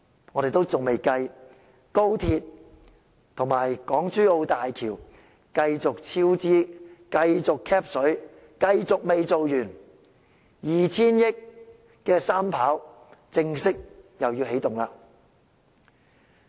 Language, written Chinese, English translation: Cantonese, 我們仍未計算高鐵及港珠澳大橋工程繼續超支，繼續 "cap 水"，繼續未完工，而 2,000 億元的"三跑"工程又要正式起動了。, We have not yet taken into account the continual cost overrun of HZMB the continual siphoning off of money and the continual unfinished projects . And the third runway project which costs 200 billion is about to commence